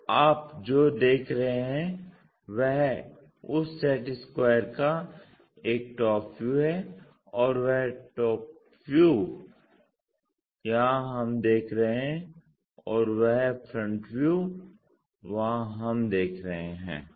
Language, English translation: Hindi, So, what you are actually observing is top view of that set square and that top view here we are seeing and that front view one is seeing there